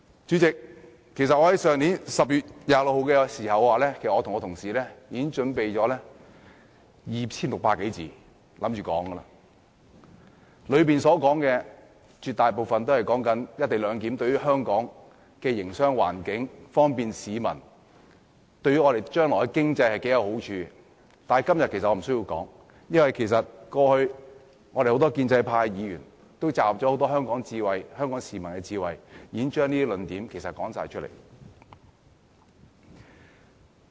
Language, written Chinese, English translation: Cantonese, 主席，在去年10月26日的會議上，我和同事其實已準備 2,600 多字的發言稿，準備在會上發言，內容絕大部分均有關"一地兩檢"安排對香港的營商環境、在方便市民方面，以及對香港將來的經濟會帶來多少好處，但今天我其實無需要再說，因為我們很多建制派議員過去已集合很多香港市民的智慧，已把這些論點全部說出來。, Chairman my colleagues and I had actually prepared a 2 600 - word script to be read out at the meeting held on 26 October last year . It was mainly about the benefit brought about by the co - location arrangement to Hong Kongs business environment the convenience enjoyed by the public and the benefit brought to Hong Kongs economy in the future . Actually there is no need for me to add anything as many Members of the pro - establishment camp have already pooled the wisdom of the public and advanced all the arguments